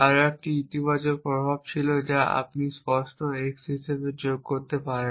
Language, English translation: Bengali, There were one more positive effect which is you can add as clear x